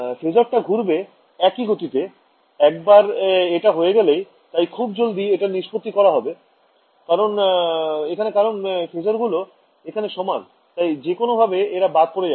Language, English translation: Bengali, The phasors will rotate at the same speed once this is done, what do I have to I mean the immediate conclusion from here is because the phasors are equal they can get cancelled off right right